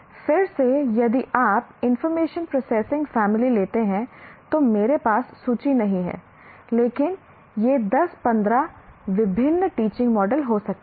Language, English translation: Hindi, Again, if you take information processing family, I don't have a list, but it can be 10, 15 different teaching models